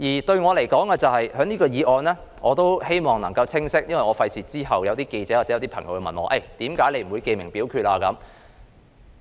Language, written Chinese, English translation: Cantonese, 對我而言，我希望就這項議案清晰說明一點，以免之後有記者或朋友問我為何我不要求記名表決。, To me I hope to make clear one point about this motion lest I may be asked by some journalists or people why I do not claim a division